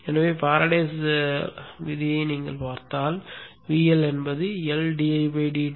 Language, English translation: Tamil, So by the Faraday's law if you look at that you will see that the L is equal to L, D